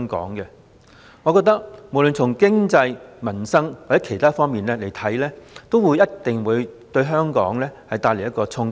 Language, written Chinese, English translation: Cantonese, 我認為不論從經濟、民生或其他方面來看，這一定會對香港帶來衝擊。, In my view this certainly will have some impact on Hong Kong no matter in terms of economy peoples livelihood or other aspects